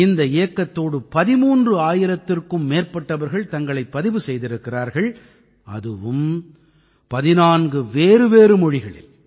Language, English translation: Tamil, For this more than 13 thousand people have registered till now and that too in 14 different languages